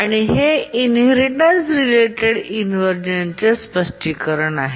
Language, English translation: Marathi, And this is the explanation for the inheritance related inversion